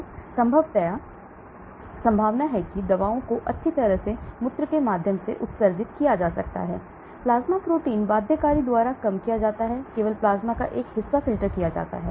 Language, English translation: Hindi, So chances are drugs can nicely get excreted through urine, reduced by plasma protein binding only a portion of plasma is filtered